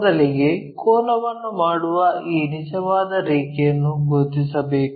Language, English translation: Kannada, First we have to identify this true line making an angle